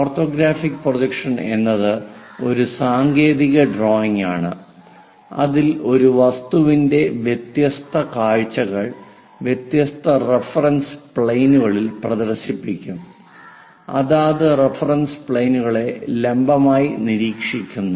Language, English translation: Malayalam, An orthographic projection is a technical drawing in which different views of an object are projected on different reference planes observing perpendicular to respective reference planes